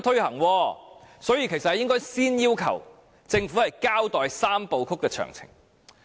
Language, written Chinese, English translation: Cantonese, 因此，其實我們應該先要求政府交代"三步走"的詳情。, For this reason we should first request the Government to give a detailed account of the Three - step Process